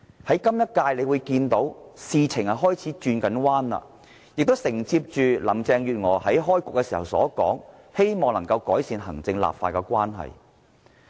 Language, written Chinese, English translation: Cantonese, 在今屆立法會，事情開始有好轉，而林鄭月娥在開局時也說，希望能夠改善行政立法關係。, Carrie LAM said at the beginning of this legislative session that she hoped the relationship between the executive and the legislature would improve